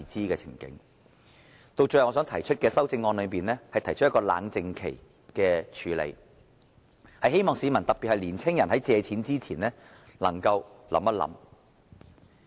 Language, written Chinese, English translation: Cantonese, 最後，在我的修正案中，我提出了冷靜期的處理安排，希望市民在借貸前可以再想一想。, Last but not least I have proposed the arrangement of cooling - off periods in my amendment in the hope that members of the public especially young people will think twice before raising a loan